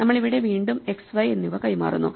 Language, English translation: Malayalam, So, we again pass it x and y